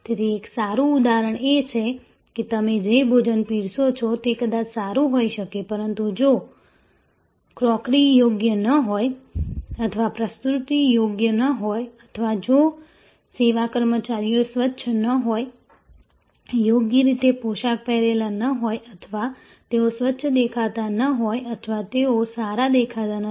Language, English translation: Gujarati, So, a good example is that the food that you are serving maybe great, but if the crockery are not proper or the presentation are not proper or if the service personnel are not clean, properly dressed or they do not appear to be clean or they do not appear to be using glows